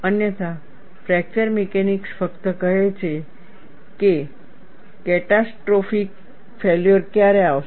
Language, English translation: Gujarati, Otherwise fracture mechanics only says, when catastrophic failure will occur